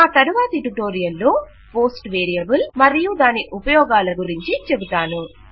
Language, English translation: Telugu, In my next tutorial, I will talk about the post variable and its uses